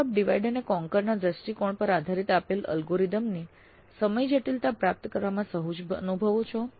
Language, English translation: Gujarati, Do you feel comfortable in deriving the time complexity of a given algorithm that is based on a divide and conquer approach